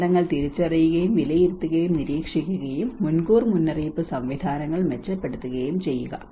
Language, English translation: Malayalam, Identify, assess and monitor disasters and enhance early warning systems